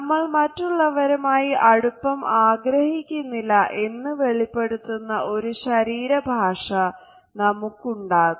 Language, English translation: Malayalam, We develop a body language which suggest that we do not want to be close to them